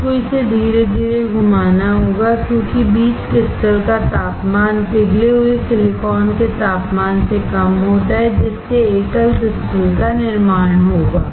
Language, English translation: Hindi, You have to rotate it slowly, because the temperature of the seed crystal is lower than the temperature of the molten silicon there will be formation of the single crystal